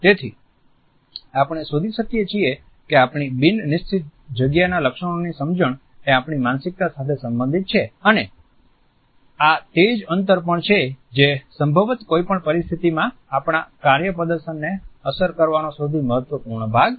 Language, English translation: Gujarati, So, that is why we find that our understanding of non fixed feature space is related with our own psyche and this is also the space which is perhaps the most significant way to impact our work performance in any situation